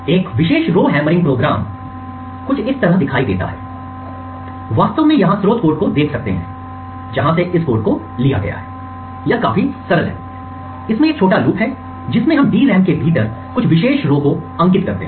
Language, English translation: Hindi, A typical Rowhammered program would look something like this, you could actually look at the source code over here from where this code has been borrowed, it is quite simple it has a small loop in which we target very specific rows within the DRAM